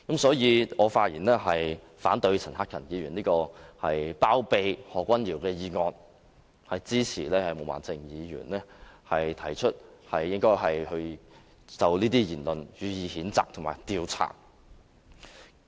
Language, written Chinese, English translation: Cantonese, 所以，我發言反對陳克勤議員這項包庇何君堯議員的議案，支持毛孟靜議員提出應該就這些言論予以譴責及調查。, I thus speak in opposition to Mr CHAN Hak - kans motion that seeks to shield Dr Junius HO and support Ms Claudia MO to censure and investigate his remarks